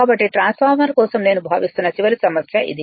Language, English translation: Telugu, So, your the this is the last problem I think for the transformer